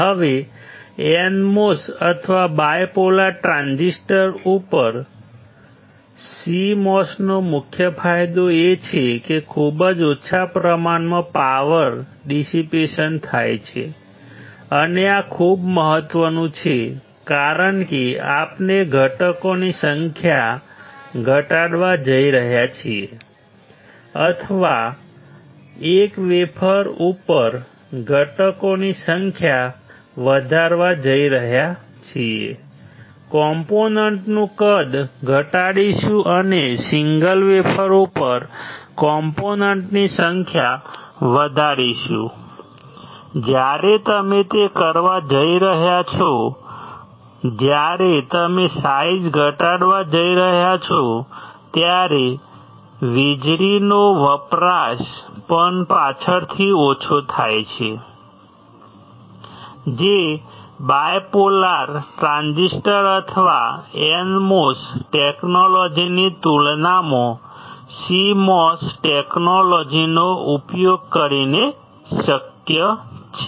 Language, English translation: Gujarati, Now, the main advantage of CMOS over NMOS or bipolar transistor is that; much smaller power dissipation, and this is very important, because we are going to reduce the number of components, or increase the number of components on a single wafer , reduce the size of component and increase the number of component on the single wafer, when you are going to do that when you going to reduce the size the power consumption also get subsequently reduced, that is possible by using the CMOS technology compared to bipolar transistor or NMOS technology